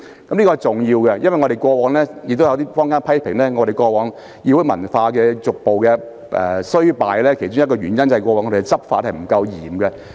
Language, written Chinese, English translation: Cantonese, 這是重要的舉措，因為坊間批評立法會議會文化逐步衰敗的其中一個原因，在於過往執法不嚴。, This is a significant move because according to public criticism one of the reasons for the deterioration of the parliamentary culture in the Legislative Council is that RoP have not been strictly enforced